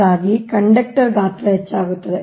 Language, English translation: Kannada, therefore, the conductor size will increase, right